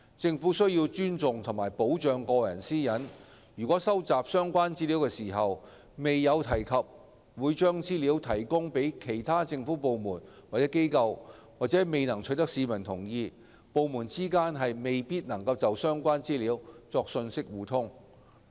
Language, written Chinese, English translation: Cantonese, 政府須尊重和保障個人私隱，如收集相關資料時未有提及會將資料提供予其他政府部門或機構，或未能取得市民同意，則部門之間未必能就相關資料作信息互通。, The Government ought to respect and protect personal privacy . If the provision of the data concerned to other government departments or organizations is not mentioned or consented by the persons concerned at the time of collecting the data then information exchange amongst departments might not be possible